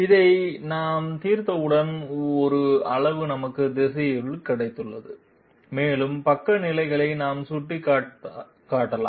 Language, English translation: Tamil, Once we solve this, we get a magnitude we have also got the direction and we can pinpoint the sidestep positions